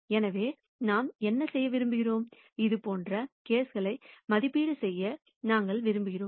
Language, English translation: Tamil, So, what we want to do is, we want to be able to evaluate cases like this